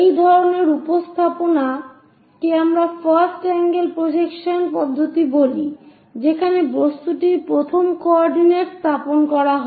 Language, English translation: Bengali, This kind of representation what we call first angle projection system where the object is placed in the first coordinate